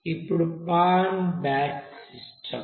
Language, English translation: Telugu, Now the pan is batch system